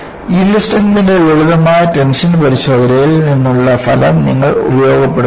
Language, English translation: Malayalam, And, you utilize the result from a simple tension test of the yield strength